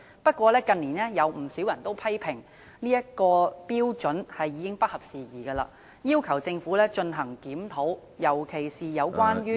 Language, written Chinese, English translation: Cantonese, 不過，近年有不少人批評有關標準已經不合時宜，並要求政府進行檢討，特別是有關......, However in recent years quite a number of people have criticized that the relevant standards are out of date and they have asked the Government to conduct reviews especially on